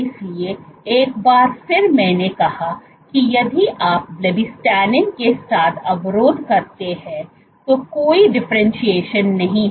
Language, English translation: Hindi, So, once again as I said that if you inhibit with blebbistatin, there is no differentiation